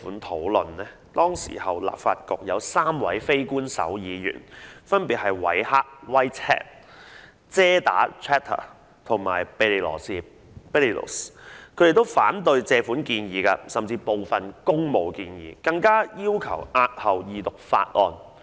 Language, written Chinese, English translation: Cantonese, 當年立法局有3位非官守議員，分別為韋赫、遮打和庇理羅士，他們均反對該項借款建議，甚至部分工務建議，更要求押後二讀法案。, Back then there were three Unofficial Members in the Legislative Council who were respectively Whitehead Chater and Belilos . They all opposed the loan proposal and even some public works proposals and also requested that the Second Reading of the Bill be postponed